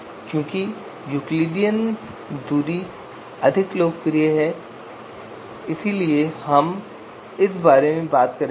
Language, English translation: Hindi, So because Euclidean distance being more popular so we will talk about this